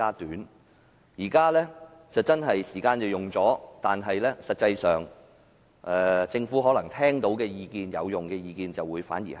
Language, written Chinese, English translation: Cantonese, 現時真的用了更多時間，但實際上政府聽到有用的意見反而更少。, In fact while we have spent more time on the adjournment motion fewer constructive ideas have been conveyed to the Government